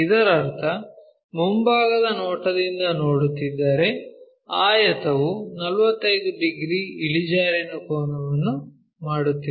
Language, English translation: Kannada, That means, if we are looking from front view the rectangle is making an angle 45 degrees inclination